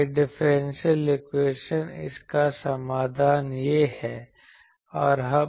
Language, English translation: Hindi, This differential equation its solution is this